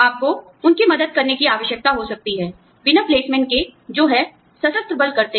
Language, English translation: Hindi, You may need to help them, without placement, which is what, the armed forces do